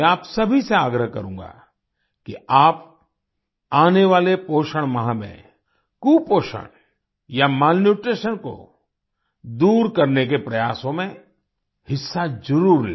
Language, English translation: Hindi, I would urge all of you in the coming nutrition month, to take part in the efforts to eradicate malnutrition